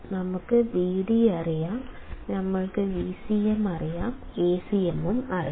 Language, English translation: Malayalam, We know Vd, we know Vcm, we know Acm